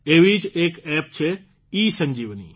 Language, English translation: Gujarati, There is one such App, ESanjeevani